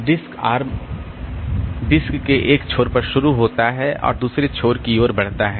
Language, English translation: Hindi, The disk starts at one end of the disk and moves toward the other end